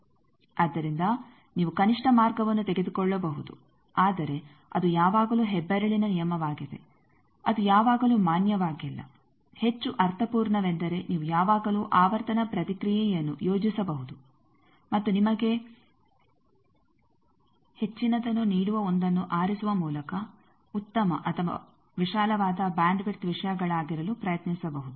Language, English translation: Kannada, So, the minimum path that you can take, but still that is the rule of thumb always it is not valid more meaningful is you can always plot the frequency response and try to be as better or wide bandwidth things by choosing the 1 which gives you more